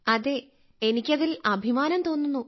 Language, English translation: Malayalam, I feel very proud of him